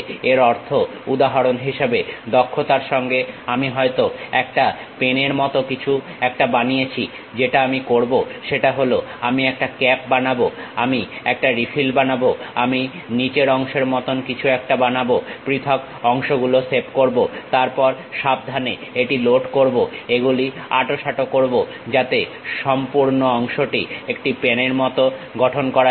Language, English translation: Bengali, That means, for example, I want to construct a by skill, maybe I want to construct something like a pen, what I will do is I will prepare a cap, I will prepare a refill, I will prepare something like bottom portion, save individual parts, then carefully load it, tighten them, so that a combined part like a pen can be made